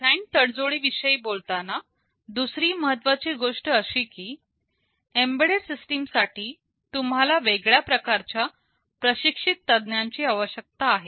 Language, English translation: Marathi, And another important thing is that talking about design tradeoffs, for embedded systems you need a different kind of trained professionals